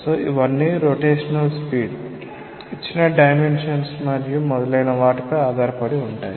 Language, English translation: Telugu, So, it all depends on the rotational speed C to the given dimensions and so on